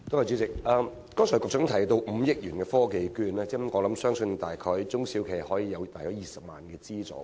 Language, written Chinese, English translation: Cantonese, 局長剛才提到5億元的"科技券計劃"，相信中小企每次可以得到約20萬元資助。, The Secretary has mentioned about the 500 million TVP just now and it is believed that SMEs may receive a funding of about 200,000 each time